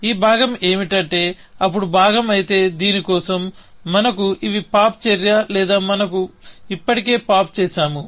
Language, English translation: Telugu, So, this part is that, if then part, then for this if, we have these else, pop, action, or we have already done the pop